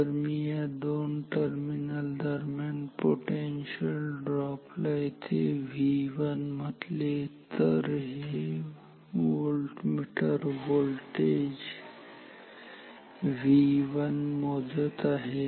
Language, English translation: Marathi, If I call this potential drop as call this as V 1 between here between these two terminals, then this voltmeter is measuring voltage V 1 ok